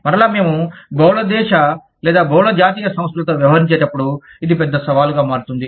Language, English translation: Telugu, Again, this becomes a big challenge, when we are dealing with, multi country or multi national enterprises